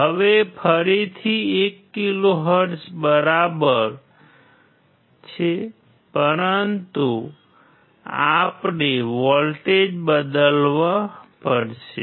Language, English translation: Gujarati, Now again 1 kilohertz is same, but we had to change the voltage